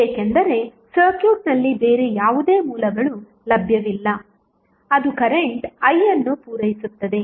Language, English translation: Kannada, Because there is no any other source available in the circuit, which can supply current I